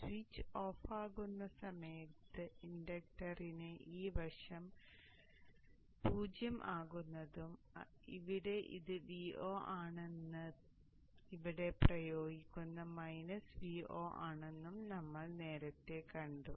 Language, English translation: Malayalam, And during the time when the switch is off, we saw earlier that this side of the inductor becomes 0 and here it is still V0 and what is applied is minus V0